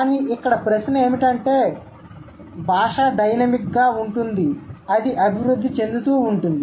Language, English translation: Telugu, But the question here is that language is dynamic and it keeps evolving